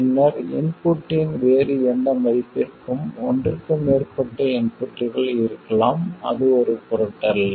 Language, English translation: Tamil, Then for any other value of the input, there can be more than one input, it doesn't matter